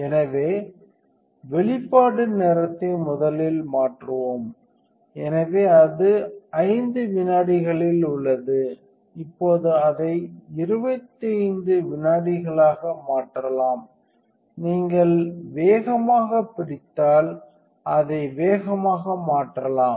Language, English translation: Tamil, So, let us change the exposure time first, so it is at 5 seconds now we can change it to 25 seconds; if you hold fast and up you can change it faster